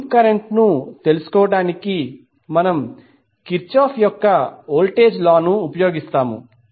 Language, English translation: Telugu, We will utilize the Kirchoff’s voltage law to find out the loop current